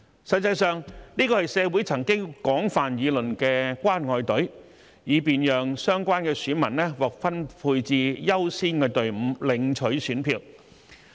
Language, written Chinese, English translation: Cantonese, 實際上，這是社會曾廣泛議論的"關愛隊"，以便讓相關選民獲分配至優先隊伍領取選票。, As a matter of fact this is tantamount to the caring queue that has been widely discussed in the community such that these electors would be assigned to a priority queue to get the ballot papers